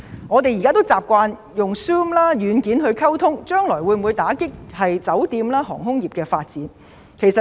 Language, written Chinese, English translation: Cantonese, 我們現在習慣用 Zoom 軟件溝通，將來會否因此打擊酒店或航空業的發展？, As we now tend to use the Zoom software for communication will this affect the development of the hotel or aviation industry in the future?